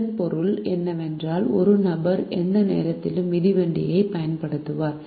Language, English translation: Tamil, this would mean that one person would be using the bicycle at any point in time